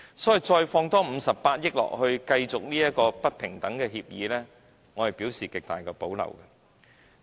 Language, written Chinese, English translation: Cantonese, 所以，再投放58億元繼續這項不平等的協議，我表示極大保留。, Hence I have great reservations over the unfair agreement of injecting an additional 5.8 billion into Disneyland